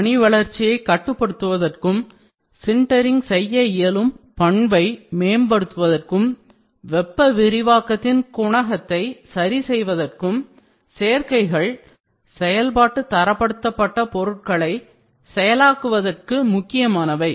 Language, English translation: Tamil, Additives to control grain growth, improve sinterability and adjust the coefficient of thermal expansion are critical for processing of functionally graded materials